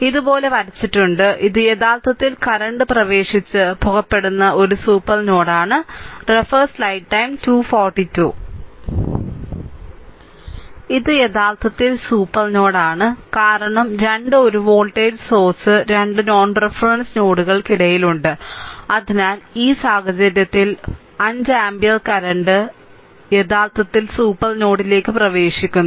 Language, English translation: Malayalam, This is actually super node this is supernode because 2 1 voltage source is there in between 2 non reference node; so, in this case, a 5 ampere current this 5 ampere current actually entering the super node